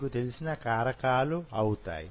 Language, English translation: Telugu, What are the factors